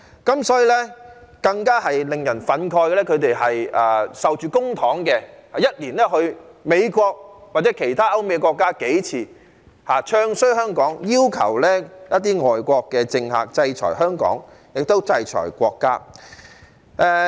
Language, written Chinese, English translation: Cantonese, 更令人憤慨的是，他們領受公帑，一年去美國或其他歐美國家數次，"唱衰"香港，要求一些外國政客制裁香港和國家。, What is even more outrageous is that they receive public money and then go to the United States or other European and American countries several times a year to bad - mouth Hong Kong and ask some foreign politicians to impose sanctions on Hong Kong and the State